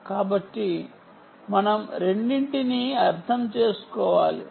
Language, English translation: Telugu, ok, so we need to understand um both